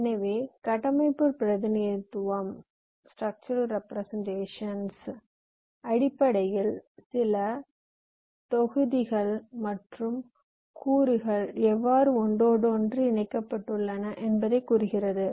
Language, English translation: Tamil, so structural representation essentially tells you how certain modules are components are interconnected